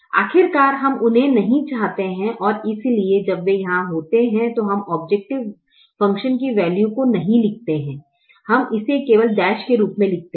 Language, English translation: Hindi, after all we don't want them and therefore when they are there we don't write the objective function value